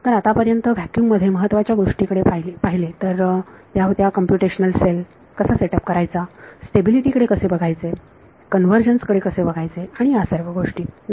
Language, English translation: Marathi, So, far in vacuum looked at the main thing how do you set up the computational cell, how do you look at stability, how do you look at convergence and accuracy all of those things right